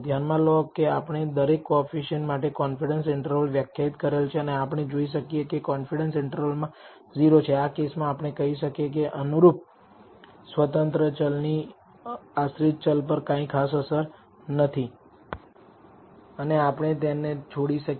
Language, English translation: Gujarati, Notice we have already defined the confidence interval for each coefficient and we can see whether the confidence interval contains 0, in which case we can say the corresponding independent variable does not have a significant effect on the dependent variable and we can perhaps drop it